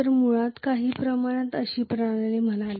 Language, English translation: Marathi, So we considered basically a system somewhat like this